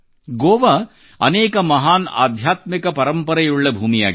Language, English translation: Kannada, Goa has been the land of many a great spiritual heritage